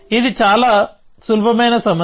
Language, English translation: Telugu, So, it is a very simple problem